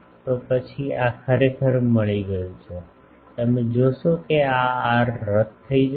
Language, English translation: Gujarati, So, this is then got actually you will see that this r will get cancelled